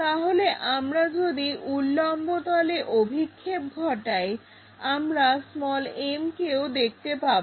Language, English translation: Bengali, So, if we are projecting on the vertical plane also m we will see